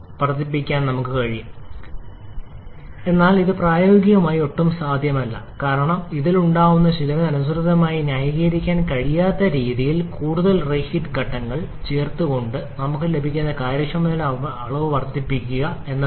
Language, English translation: Malayalam, But it is practically not at all feasible because increasing the amount again inefficiency that we get by adding more than to reheat stages that cannot be justified corresponding to the cost that is incurred in this